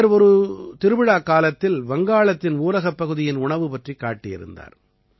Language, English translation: Tamil, He had showcased the food of rural areas of Bengal during a fair